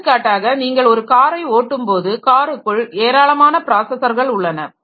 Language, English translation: Tamil, For example, when you are driving a car there are a large number of processors which are inside the car